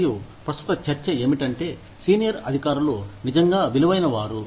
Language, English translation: Telugu, And, the current debate is that, are the senior officials, really worth it